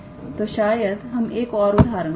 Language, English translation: Hindi, So, perhaps we will do one more example